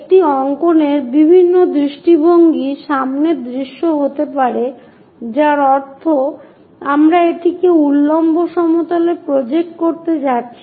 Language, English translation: Bengali, The different views of a drawing can be the front view that means, we are going to project it on to the vertical plane